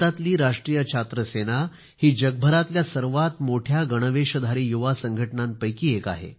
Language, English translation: Marathi, All of us know that India's National Cadet Corps, NCC is one of the largest uniformed youth organizations of the world